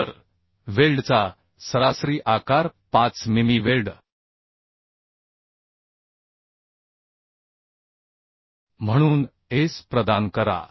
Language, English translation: Marathi, So provide S as means size of the weld as 5 mm weld right